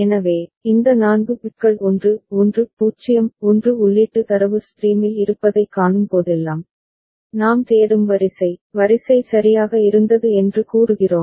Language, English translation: Tamil, So, whenever this 4 bits 1 1 0 1 is found to be present in the input data stream, we say that the sequence, the sequence we were looking for that has been there ok